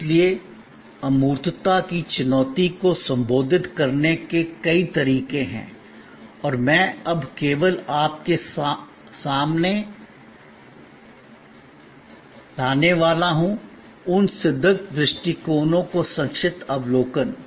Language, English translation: Hindi, So, there are number of ways of addressing the challenge of intangibility and I am now going to only introduce to you, a brief overview of those proven approaches